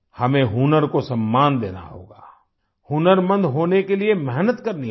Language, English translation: Hindi, We have to respect the talent, we have to work hard to be skilled